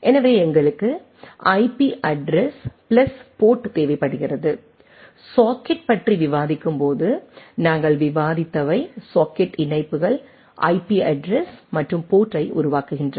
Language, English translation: Tamil, So, we require the IP address plus port, what we have discussed while discussing on the socket forming a socket connections IP address and port